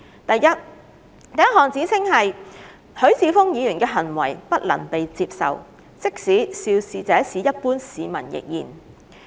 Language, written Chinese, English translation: Cantonese, 第一項指稱是，許智峯議員的行為不能被接受，即使肇事者是一般市民亦然。, The first allegation is that Mr HUI Chi - fungs acts are unacceptable even when the perpetrator is an ordinary citizen